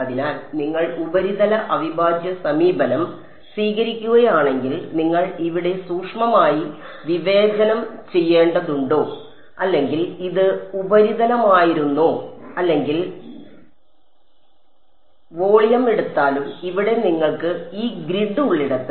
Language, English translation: Malayalam, So, whether you take the surface integral approach where you have to discretize finely over here or so this was surface or you take the volume, where you have this grid over here right